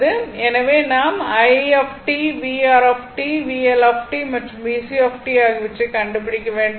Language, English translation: Tamil, So, you have to find out I t, v R t, v L t, and v C t right